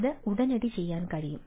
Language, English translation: Malayalam, it can be do immediately